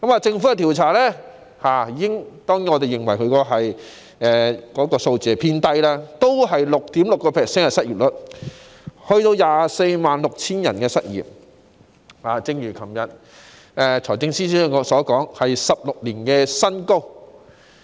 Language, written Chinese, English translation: Cantonese, 政府的調查顯示——當然，我們認為有關數字偏低——失業率是 6.6%， 即約有 246,000 人失業，一如財政司司長昨天所說般，是16年新高。, The Governments survey shows―we of course think that the relevant figure is an underestimation―that the unemployment rate stands at 6.6 % meaning to say that around 246 000 people are unemployed . As rightly said by the Financial Secretary yesterday the rate is a record high in 16 years